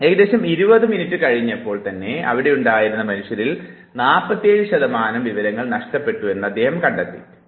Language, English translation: Malayalam, What he found was that after lapse of around 20 minutes human beings there have loss of 47 percent of information